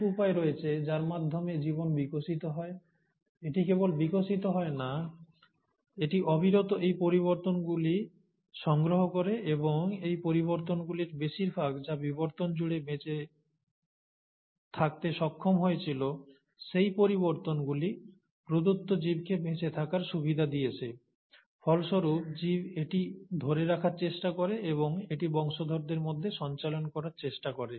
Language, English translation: Bengali, So, there are ways by which life evolves, and then it not just evolves, it keeps on accumulating these changes and most of these changes which have managed to survive across evolution have been those changes, which have given a survival advantage to a given organism, and as a result the organism tries to retain it and the life tries to retain it for further passing it on to the progeny